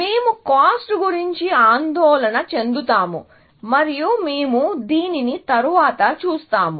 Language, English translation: Telugu, So, we will worry about cost as we see this later